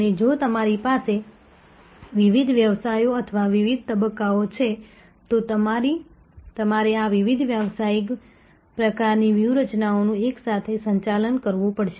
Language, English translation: Gujarati, And if you have different businesses or difference stages, then you may have to manage this different business types of strategies together